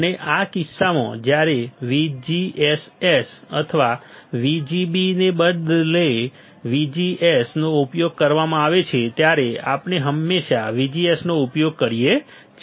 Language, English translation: Gujarati, And in this case when VGS is used instead of VGSS or VGB right we are using always VGS